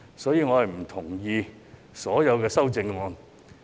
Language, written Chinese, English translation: Cantonese, 所以，我不同意所有修正案。, For this reason I disagree to all amendments